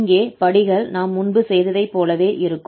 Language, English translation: Tamil, So the steps are again similar what we have done before